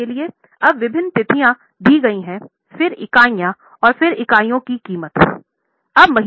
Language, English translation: Hindi, Now, the various dates are given and again the units of units and prices are known to you